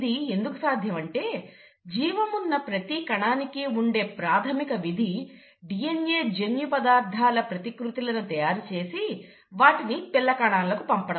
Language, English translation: Telugu, Now this is possible because every living cell has one basic function to do, and that is to replicate its DNA and then pass it on to the daughter cells